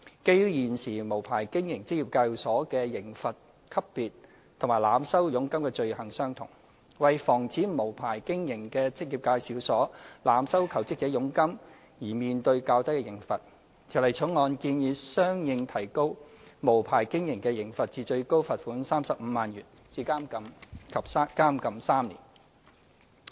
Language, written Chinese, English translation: Cantonese, 基於現時無牌經營職業介紹所的刑罰級別與濫收佣金的罪行相同，為防止無牌經營的職業介紹所濫收求職者佣金而面對較低的刑罰，《條例草案》建議相應提高無牌經營的刑罰至最高罰款35萬元及監禁3年。, As an offender of unlicensed operation of employment agency is presently liable to the same level of penalty as that for the offence of overcharging jobseekers to prevent the situation where an unlicensed operator of an employment agency is liable to lighter penalties for overcharging jobseekers the Bill proposes to correspondingly raise the maximum penalty for the offence of unlicensed operation to a maximum fine of 350,000 and imprisonment for three years